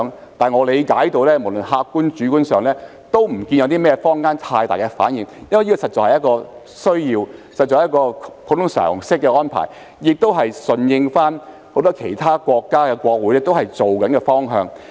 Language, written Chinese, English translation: Cantonese, 不過，據我理解，無論在客觀、主觀上也看不到坊間有太大的反應，因為這實在是一種需要，是普通常識的安排，也是順應很多其他國家的國會正在實行的方向。, Yet as far as I understand it we do not see strong reaction from the community both objectively and subjectively . The arrangement is actually necessary according to common sense which is also in line with the direction implemented by the parliaments of many other countries